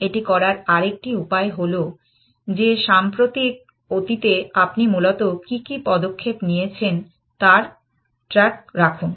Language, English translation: Bengali, Another way of doing, this is the following that keep track of what moves you made in the recent past essentially